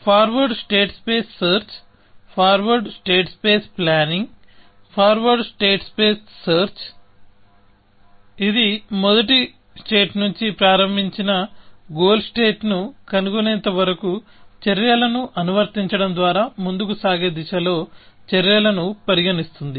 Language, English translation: Telugu, The forward state space search; forward state space planning; thus, forward state space search, it starts from the start state and keeps applying actions, till it finds a goal state, considers actions in forward direction